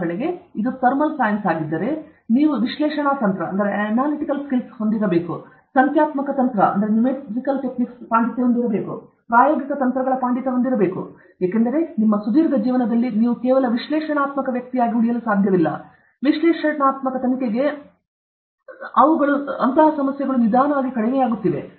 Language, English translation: Kannada, For example, if it is thermal sciences, you should have a mastery of analytical techniques; you should have a mastery of numerical techniques; you should have a mastery of experimental techniques, because in your long life, you cannot stay as just an analytical person, because the problems which are available, which lend themselves to analytical investigation are slowly going down